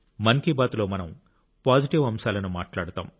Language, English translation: Telugu, In Mann Ki Baat, we talk about positive things; its character is collective